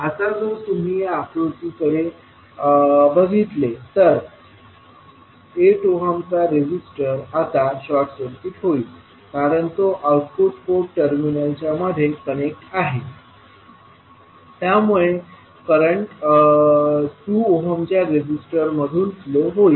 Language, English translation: Marathi, Now, if you see this particular figure, the 8 ohm resistor will be now short circuited because it is connect across the terminals of the output port so the current I 2 will be flowing through 2 ohm resistance